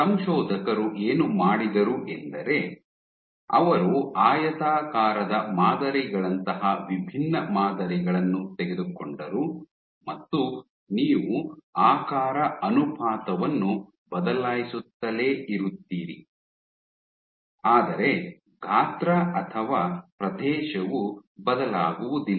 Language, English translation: Kannada, What the authors did was they took different patterns, rectangular patterns, you have rectangular pattern and what you do is you keep changing the aspect ratio